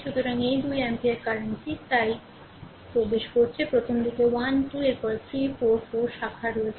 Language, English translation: Bengali, So, this 2 ampere current is entering right so, there early 1 2 then 3 4 4 branches are there